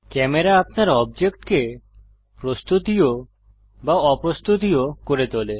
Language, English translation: Bengali, Camera makes your object render able or non renderable